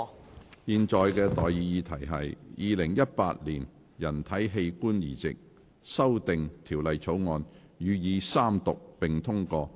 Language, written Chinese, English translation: Cantonese, 我現在向各位提出的待議議題是：《2018年人體器官移植條例草案》予以三讀並通過。, I now propose the question to you and that is That the Human Organ Transplant Amendment Bill 2018 be read the Third time and do pass